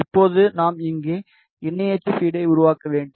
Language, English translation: Tamil, Now, we need to make the co axial feed over here